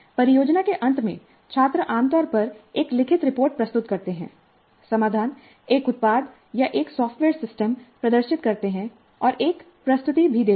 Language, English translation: Hindi, At the end of project students typically submit a written report, demonstrate the solution, a product or a software system, they demonstrate the solution and also make a presentation